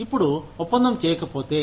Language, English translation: Telugu, Now, if the deal is not done